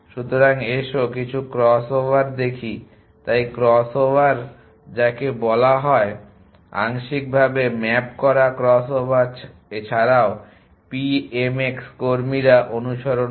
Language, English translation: Bengali, So, let us look at some cross over’s so 1 cross over which is called partially mapped crossover also call PMX workers follows